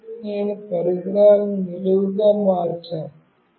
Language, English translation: Telugu, Now, let us say I have changed devices vertically